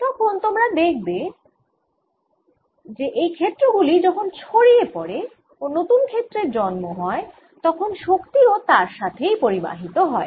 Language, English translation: Bengali, then we'll see that these fields as they propagate and new fields are created, energy also gets transported by it